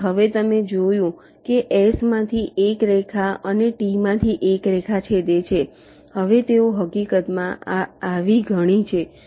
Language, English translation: Gujarati, so now you have seen that that one line from s and one line from t has intersected